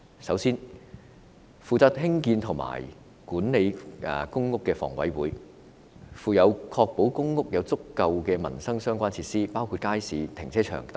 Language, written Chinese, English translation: Cantonese, 首先，負責興建和管理公屋的香港房屋委員會有責任確保公屋有足夠的民生設施，包括街市、停車場等。, The Government has an unshirkable responsibility for them . First the Hong Kong Housing Authority HA responsible for developing and managing PRH is duty - bound to ensure that PRH are provided with adequate livelihood facilities such as markets car parks etc